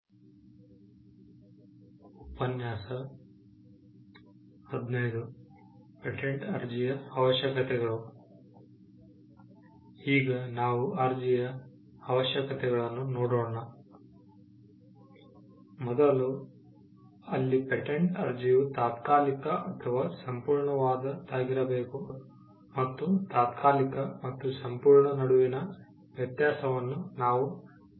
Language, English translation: Kannada, First, there the patent application has to be accompanied by a provisional or a complete, and we had mentioned the difference between a provisional and a complete